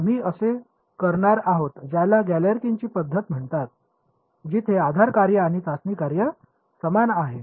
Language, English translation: Marathi, We are going to do what is called Galerkin’s method, where the basis functions and the testing function are the same right ok